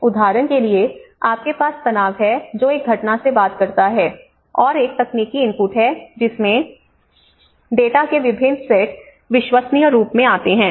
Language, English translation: Hindi, Like for instance, you have the stresses which talks from an event, and there is a technical inputs which the data different sets of data come into forms the credible